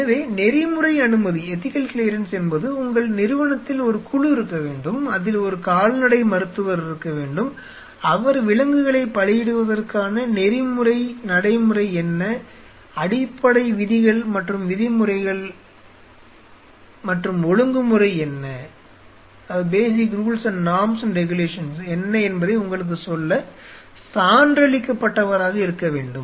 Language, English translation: Tamil, So, ethical clearance essentially means your institute should have a body which essentially have to have a veterinarian, who is certified to tell you that what are the ethical practice of sacrificing animal, what are the basic rules and norms and regulation